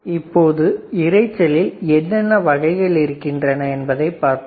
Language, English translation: Tamil, So, let us see what are the type of noises